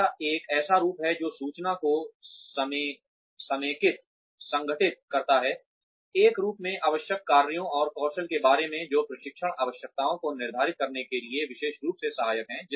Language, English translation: Hindi, It is a form that, consolidates information, regarding required tasks and skills in a form, that is especially helpful for determining training requirements